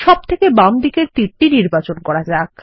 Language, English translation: Bengali, Lets select the left most arrow